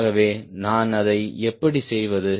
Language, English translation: Tamil, in that case, how do i handle this